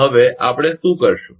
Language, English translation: Gujarati, Now, what we will do we